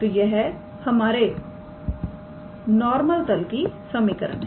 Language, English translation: Hindi, So, this is the equation of our normal plane